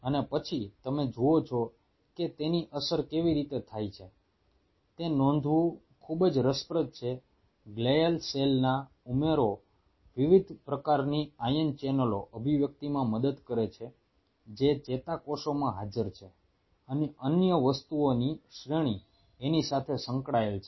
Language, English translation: Gujarati, its very interesting to note the addition of glial cell helps in the expression of the different kind of ion channels which are present in the neurons and the series of other things which are involved with it